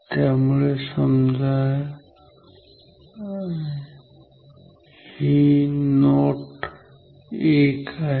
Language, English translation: Marathi, So, this is say note 1